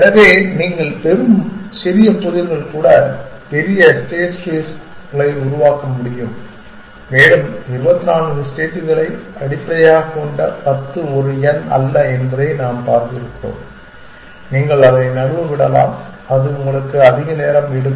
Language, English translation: Tamil, So, even that small puzzles that you get can generate huge state space essentially and we have seen the 10 based to 24 states is not a number that you can slip that essentially it will take you huge amounts of time